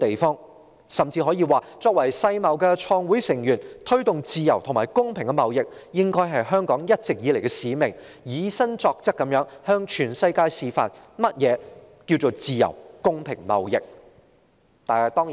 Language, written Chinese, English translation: Cantonese, 我們甚至可以說，香港作為世界貿易組織的創會成員，推動自由和公平的貿易應是香港一直以來的使命，我們應以身作則，向全世界示範何謂自由和公平貿易。, We may also say that Hong Kong as a founding member of the World Trade Organization has always regarded the promotion of free and fair trade a mission of Hong Kong and we should practise what we preach to demonstrate to the world what is free and fair trade